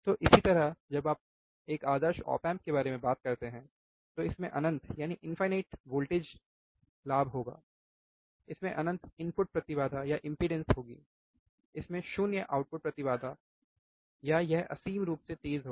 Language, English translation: Hindi, So, same thing when you talk about ideal op amp, it would have infinite voltage gain, it would have infinite input impedance, it would have 0 in output impedance, it will have infinite fast